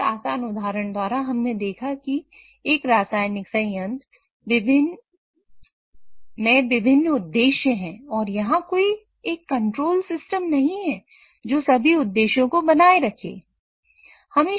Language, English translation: Hindi, So, with this simple example, we have, what we could see is there are different objectives in a chemical plant and there is no single control system which maintains all these objectives